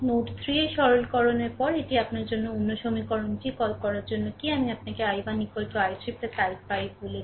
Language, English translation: Bengali, This is your what to call another equation after upon simplification at node 3 also, I told you i 1 is equal to i 3 plus i 5